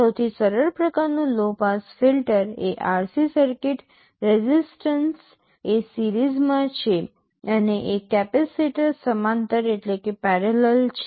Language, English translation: Gujarati, The simplest kind of low pass filter is an RC circuit, a resistance in series and a capacitor in parallel